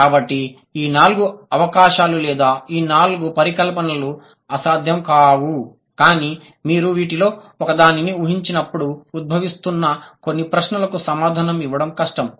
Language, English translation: Telugu, So, these four possibilities or these four hypothesis, they would sometimes like they are not impossible but it is difficult to answer certain emerging questions when you hypothesize one of these